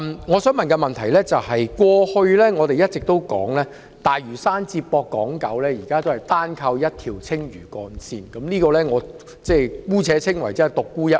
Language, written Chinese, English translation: Cantonese, 我們過去一直說，大嶼山接駁港島和九龍市區至今仍是單靠一條青嶼幹線，我姑且稱之為"獨沽一味"。, All along we have been saying that currently the connection between Lantau and the urban areas of Hong Kong Island and Kowloon has to rely solely on the Lantau Link so perhaps I can describe this as a single dish